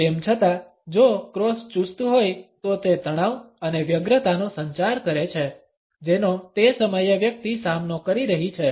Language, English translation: Gujarati, However, if the cross is rigid it communicates the tension and anxiety which a person is facing at that time